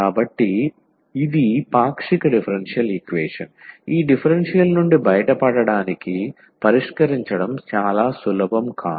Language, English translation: Telugu, So, this is a partial differential equation which is not very easy to solve to get this I out of this equations